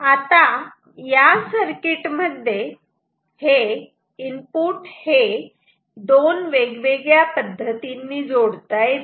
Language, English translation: Marathi, Now, input in this circuit can be connected in two different ways ok